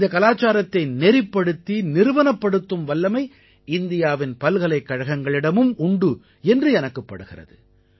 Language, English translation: Tamil, I think that universities of India are also capable to institutionalize this culture